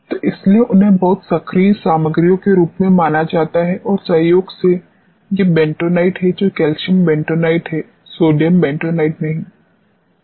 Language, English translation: Hindi, So, that is why they are suppose to very active materials and incidentally these are the bentonites which are calcium bentonites, not the sodium bentonites